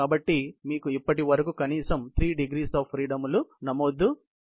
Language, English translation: Telugu, So, you have at least, 3 degrees of freedom recorded so far